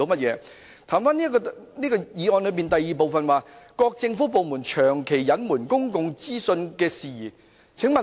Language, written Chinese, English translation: Cantonese, 讓我言歸議案的第二部分，即"各政府部門長期隱瞞公共資訊事宜"。, Let me come back to the second part of the motion that is persistent withholding of public information by government departments